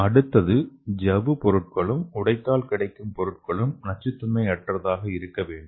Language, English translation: Tamil, Next one is the membrane material and its degradation products have to be nontoxic